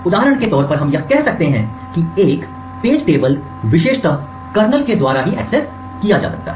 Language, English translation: Hindi, For example this may be say of a particular page table and more particularly this may specify that a page is accessible only by the kernel